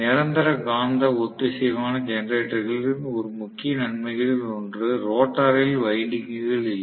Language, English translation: Tamil, So, Permanent Magnet Synchronous Generators have one of the major advantages, no winding in the rotor